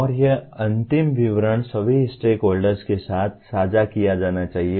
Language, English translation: Hindi, And these final statement should be shared with all stakeholders